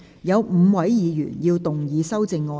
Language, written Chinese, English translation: Cantonese, 有5位議員要動議修正案。, Five Members will move amendments to this motion